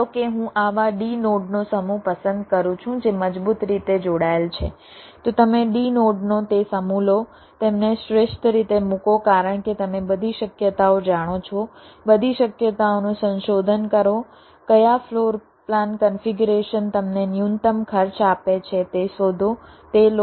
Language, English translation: Gujarati, you take that set of d nodes, place them optimally because you know all possibilities, explore all the possibilities, find out which floor plan configuration gives you the minimum cost